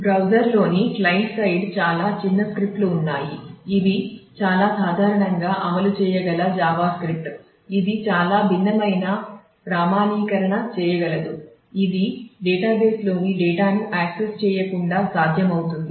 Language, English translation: Telugu, So, in the client side in the browser there are some small script that can run a most typically it is a Java script which can too different authentication which is possible without actually accessing the data in the database